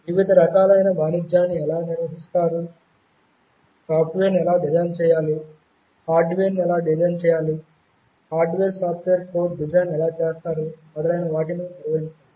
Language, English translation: Telugu, How do carry out various kinds of trade off, how to design software, how to design hardware, how do you carry out something called hardware software code design, etc